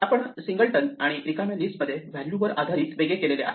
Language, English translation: Marathi, We distinguish between a singleton and an empty list purely based on the value